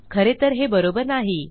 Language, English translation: Marathi, This isnt actually right